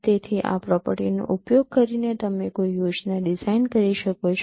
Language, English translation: Gujarati, So using this property you can design a scheme